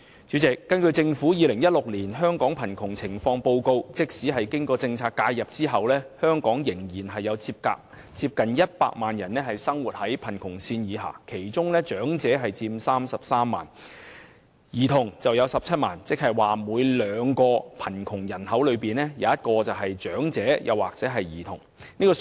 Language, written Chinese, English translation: Cantonese, 主席，根據政府《2016年香港貧窮情況報告》，即使經過政策介入後，香港仍有接近100萬人生活在貧窮線下，其中長者佔33萬人，兒童佔17萬人，即每兩名貧窮人口，便有一名是長者或兒童。, President according to the Governments Hong Kong Poverty Situation Report 2016 there are still nearly 1 million people in Hong Kong living below the poverty line even after the implementation of the Governments recurrent cash policy intervention among which 330,000 are elderly people and 170,000 are children . That is to say one in every two poor people in Hong Kong is either an elderly person or a child